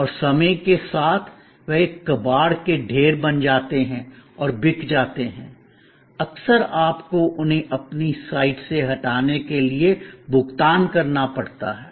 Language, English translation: Hindi, And over time, they become a junk heap and at sold off, often you have to pay for taking them away removing from your site